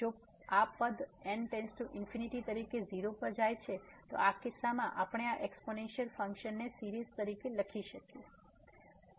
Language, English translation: Gujarati, So, if this term goes to 0 as goes to infinity, in this case we can write down this exponential function as a series